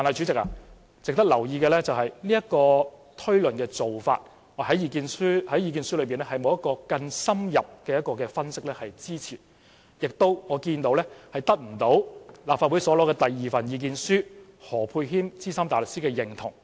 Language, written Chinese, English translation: Cantonese, 值得留意的是，這個類推的做法在意見書中並沒有更深入的分析支持，也得不到立法會所獲得的第二份意見書何沛謙資深大律師的認同。, It is noteworthy that his inference was not supported by any further analysis in his submission and was not acknowledged by Ambrose HO SC in the second submission obtained by the Legislative Council